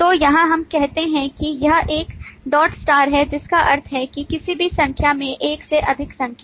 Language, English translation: Hindi, So here we say it is 1 dot dot star, which means that one to any number more than one, And here it is one